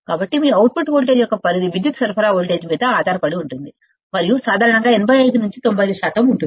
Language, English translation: Telugu, So, the range of your output voltage depends on the power supply voltage, and is usually about 85 to 95 percent